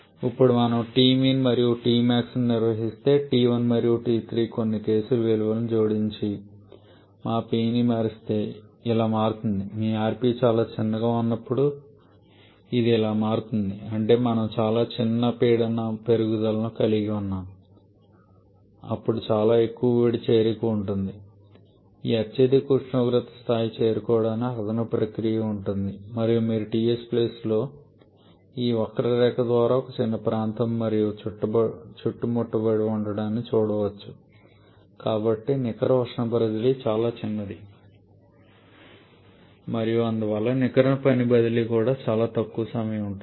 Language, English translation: Telugu, Now if we maintain T mean and T max that is T 1 and T 3 add some case values and vary our P then it changes like this like when your rp is very small that is we are having a very small pressure rise then to there will be quite long heat addition process to reach to this highest temperature level and you can see only a small area is enclosed by this curve on a TS plane so net heat transfer is quite small and therefore net work transfer also will be quite small